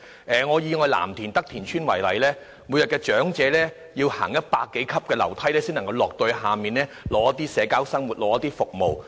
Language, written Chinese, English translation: Cantonese, 以藍田德田邨為例，長者每天要步行100多級樓梯才能到屋邨外進行社交生活和取得服務。, Take Tak Tin Estate in Lam Tin for example . Elderly residents have to walk down more than 100 stair steps every day to go outside for social activities or services